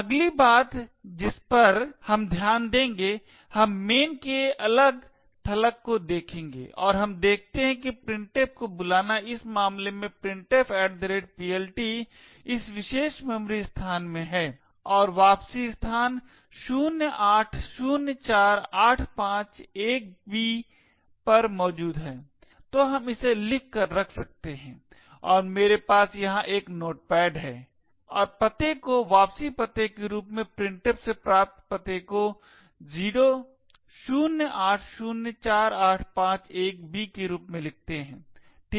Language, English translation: Hindi, The next thing we would note we would look at is the disassembly of main and we see that the call to printf here in this case the printf@PLT is in this particular memory location and the return is present at location 0804851b, so we can note this down and I have a notepad here and note down the address as 0804851b as the return address return from address from printf, ok